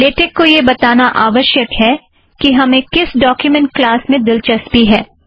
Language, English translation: Hindi, The first thing to do is the tell latex what document class we are interested in